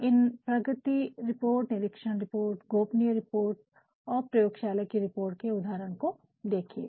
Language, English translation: Hindi, Have a look at the examples of these reports progress reports, inspection reports, confidential reports and laboratory reports